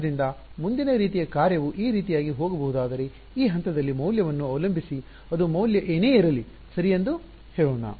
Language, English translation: Kannada, So, the next kind of if the function can go like this let us say depending on the value at this point correct whatever it is value is